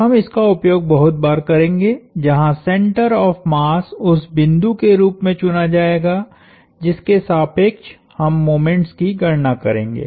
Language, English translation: Hindi, We will use this from very often, where the center of mass will be chosen as our point about which we will compute the moments